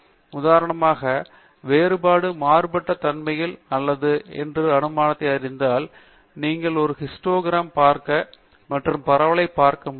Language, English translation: Tamil, To know that, for example, whether my assumption that different variabilities hold good, we can look at a histogram and look at the spread also